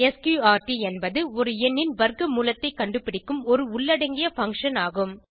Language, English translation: Tamil, sqrt is an inbuilt function to find square root of a number